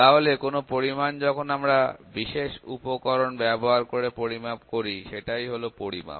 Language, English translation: Bengali, So, any quantity that we measure using some specialized equipment that is measurement